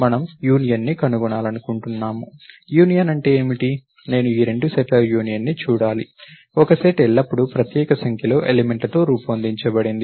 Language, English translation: Telugu, We want to find the union, union means what now, I have to look at the union of these two sets is what, a set is always made up of a unique number of elements